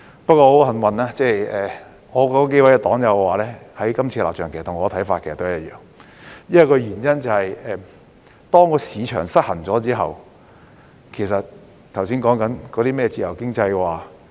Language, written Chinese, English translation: Cantonese, 不過，很幸運，我數位黨友的立場其實與我的看法一樣，原因是當市場失衡後，我們便不能再實行剛才提及的自由經濟。, Yet fortunately their position is consistent with mine because in the event of a market imbalance we can no longer practise a free economy as mentioned just now